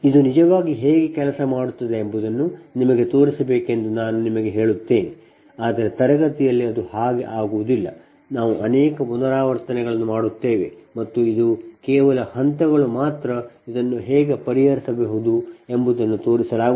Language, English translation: Kannada, ah, let me tell you, ah, this is actually to show you how things work, right, but it is not like that that in the ah classroom we will do so many ah iterations and these that this is only steps are shown that how one can solve this